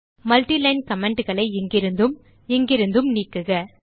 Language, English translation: Tamil, Delete the multiline comments from here and here